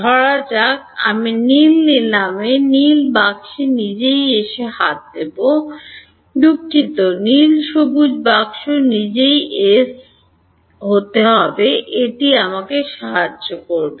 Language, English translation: Bengali, Supposing I take the blue the blue box itself to be S; sorry not blue green box itself to be S will it help me